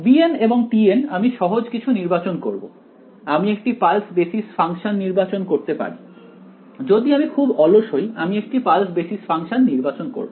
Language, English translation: Bengali, b n and t n I will choose something simple I can choose pulse basis function also, if I am very lazy I can choose pulse basis function